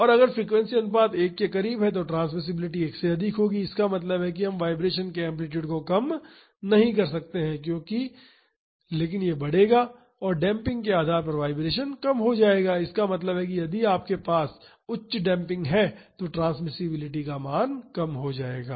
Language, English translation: Hindi, And if the frequency ratio is close to 1 then the transmissibility will be greater than 1; that means, we cannot reduce the amplitude of the vibration, but it will increase and depending upon the damping the vibration will reduce; that means, transmissibility value will reduce if you have a high damping